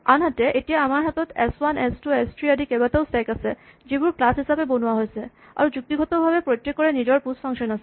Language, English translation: Assamese, On the other hand, now we have several stacks s1, s2, s3, etcetera which are created as instance as class, and logically each of them has it is own push function